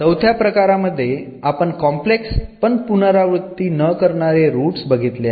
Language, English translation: Marathi, The case IV when the roots are complex and they are repeated